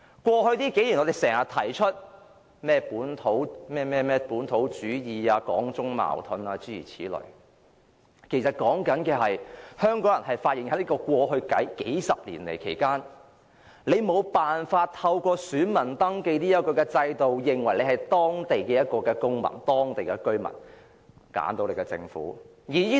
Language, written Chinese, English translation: Cantonese, 過去幾年，我們經常提出本土主義、港中矛盾等，其實所說的是香港人發現在過去數十年，無法透過選民登記這個制度來證明本身是當地公民、居民，以揀選自己的政府。, Over the past few years we have been talking about localism and Hong Kong - China conflicts etc . The point of all such talks is entirely about Hong Kong peoples observation that over the past few decades the voter registration system has never enabled them to prove their status as citizens or residents and to choose their own government . That you cannot choose your own government is not yet the end of the story